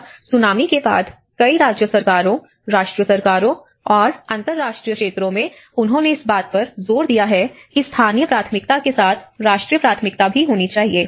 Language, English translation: Hindi, And later on after the Tsunami, the many of the state governments and the national governments and the international sectors, they have emphasized that it has to be a national priority also with the local priority